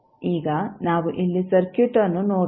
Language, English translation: Kannada, Now, let us see the circuit here